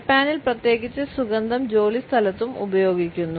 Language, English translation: Malayalam, In Japan particularly fragrance is used in the workplace also